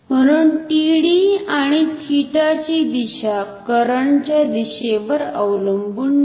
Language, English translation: Marathi, So, the direction of TD and theta do not depend on the direction of the current